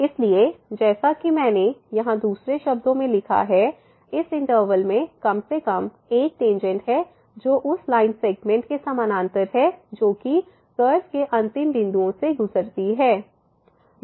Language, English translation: Hindi, So, as I have written here in other words there is at least one tangent in this interval that is parallel to the line segment that goes through the end points of the curve